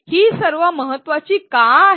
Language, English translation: Marathi, Why are all these important